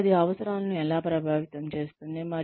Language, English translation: Telugu, And, how that affects needs